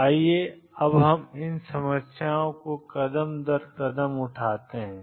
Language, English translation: Hindi, So, let us now take these problems step by step